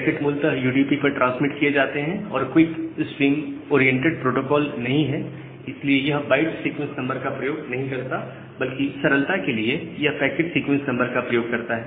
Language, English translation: Hindi, So, because the packets are basically transmitted over UDP, QUIC is not a stream oriented protocol; it does not use the byte sequence number rather it uses the packet sequence number for simplicity